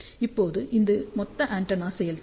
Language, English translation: Tamil, Now, this is the total antenna efficiency